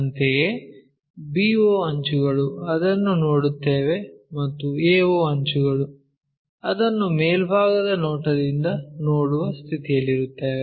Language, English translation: Kannada, Similarly, b to o edge we will see that and a to o we will be in a position to see it from the top view